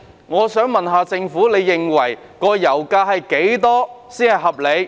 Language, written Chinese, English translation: Cantonese, 我想問，政府認為油價是多少才合理？, I would like to ask What level of pump price does the Government think is reasonable?